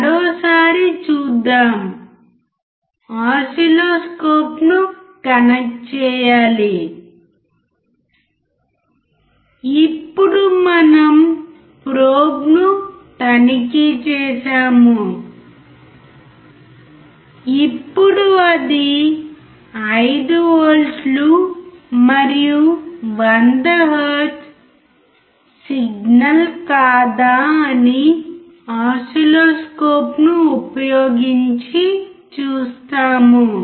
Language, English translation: Telugu, Let us see once again we have to connect the oscilloscope; now we all check the probe, now we will connect the signal to see whether it is 5 volts and 100 hertz or not using the oscilloscope